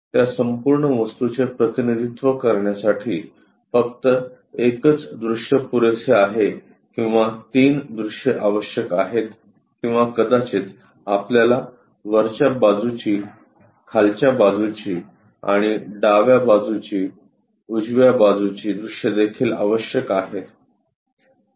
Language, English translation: Marathi, Whether just one view is good enough to represent that entire object or all the three views required or perhaps we require top bottom and also left side right side this kind of views are required